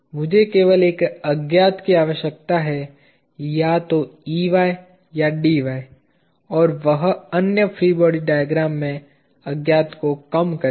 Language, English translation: Hindi, I just need one unknown either Ey or Dy and that will reduce the unknowns in the other free body diagrams; the other free body diagrams